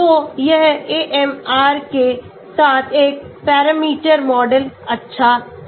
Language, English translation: Hindi, so this is one parameter model with AMR is good